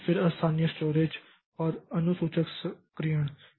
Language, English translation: Hindi, Then the local storage and scheduler activation